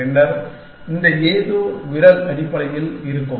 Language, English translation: Tamil, And then, this something finger will have essentially